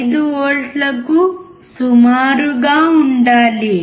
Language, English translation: Telugu, The output has to be around 5